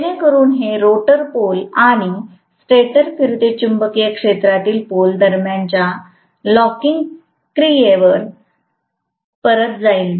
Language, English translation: Marathi, So that it goes back to the locking action between rotor poles and the stator revolving magnetic field poles